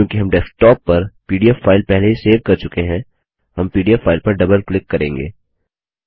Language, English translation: Hindi, Since we have already saved the pdf file on the desktop, we will double click on the pdf file